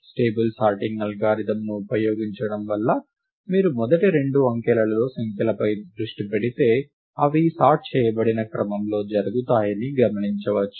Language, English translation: Telugu, And as a consequence of using a stable sorting algorithm, one can observe that, if you focus just on the numbers in the first two digits, they occur in the sorted order